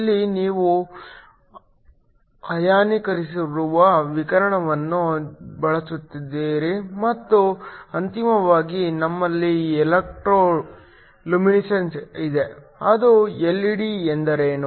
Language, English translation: Kannada, Here you use ionizing radiation and finally, we have electro luminescence, which is what an LED is